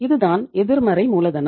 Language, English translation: Tamil, That is a negative working capital